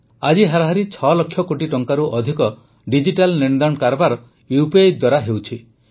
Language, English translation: Odia, Today, on an average, digital payments of more than 2 lakh crore Rupees is happening through UPI